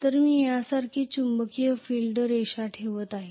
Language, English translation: Marathi, So I am going to have the magnetic field lines going like this right